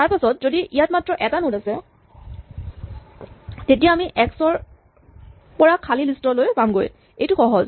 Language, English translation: Assamese, Then if there is only 1 node, then we are going from x to empty, this is easy